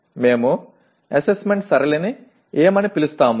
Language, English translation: Telugu, What do we call assessment pattern